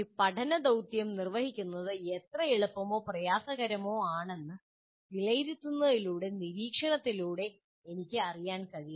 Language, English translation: Malayalam, So I should be able to, through monitoring, I should be able to make an assessment how easy or difficult a learning task will be to perform